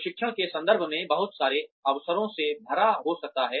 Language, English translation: Hindi, Can also be full of, a lot of opportunities, in terms of training